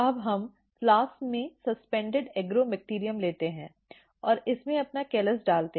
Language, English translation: Hindi, Now, we take the suspended Agrobacterium in the flask, and put our callus in it